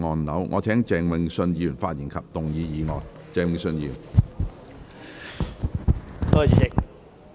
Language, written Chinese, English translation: Cantonese, 我請鄭泳舜議員發言及動議議案。, I call upon Mr Vincent CHENG to speak and move the motion